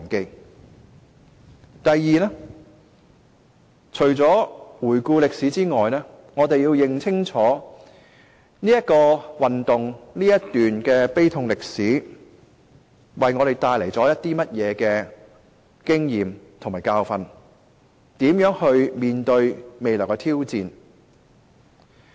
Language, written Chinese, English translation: Cantonese, 第二個重要意義在於除了回顧歷史外，我們要認清楚這場運動、這段悲痛歷史為我們帶來甚麼經驗和教訓，我們要如何面對未來的挑戰。, Secondly apart from reviewing history we must understand the experience and lessons to be learnt from the pro - democracy movement or this tragic history so that we know how to face the challenges ahead